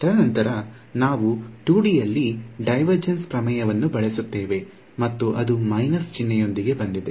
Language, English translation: Kannada, And then after that we use the divergence theorem in 2D and that came with a minus sign right